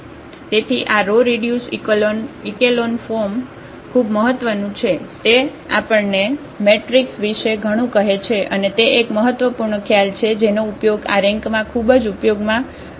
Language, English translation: Gujarati, So, this that is that is what this row reduced echelon form is very important, it tells us lot about the matrix and that is one important concept which is used at very applications about this rank